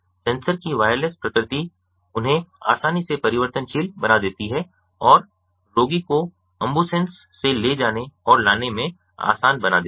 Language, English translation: Hindi, the wireless of the sensor devises make them easily variable and makes his easy for the patient to be moved to and from the ambulance